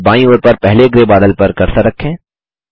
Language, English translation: Hindi, Then place the cursor on the first grey cloud to the left